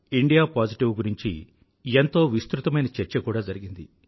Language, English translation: Telugu, indiapositive has been the subject of quite an extensive discussion